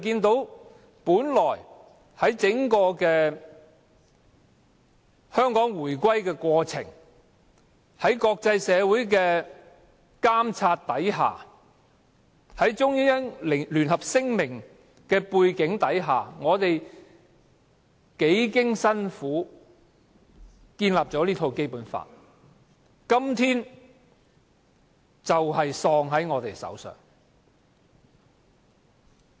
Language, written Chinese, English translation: Cantonese, 在香港的回歸過程中，我們幾經辛苦，根據《中英聯合聲明》在國際社會的監察下建立《基本法》，但《基本法》今天竟斷送在我們手上。, During the process of Hong Kongs return to the Mainland we had painstakingly enacted the Basic Law according to the Joint Declaration under the supervision of the international community; yet the Basic Law is ruined by us today